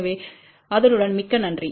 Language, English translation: Tamil, So, with that thank you very much